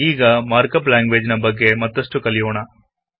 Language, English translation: Kannada, Now let us learn more about Mark up language